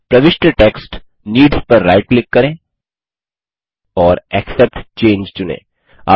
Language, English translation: Hindi, Right click on the inserted text needs and select Accept Change